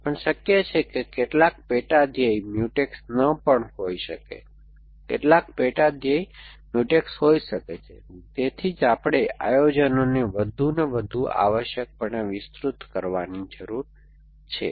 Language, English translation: Gujarati, But, it is possible that some sub goal may not the Mutex some sub goal may be Mutex which is why we need to extend the planning a further and further essentially